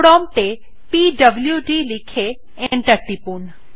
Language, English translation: Bengali, Type at the prompt pwd and press enter